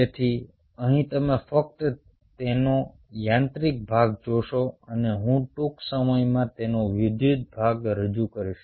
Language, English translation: Gujarati, so here you only see the mechanical part of it and i will introduce the electrical part of it soon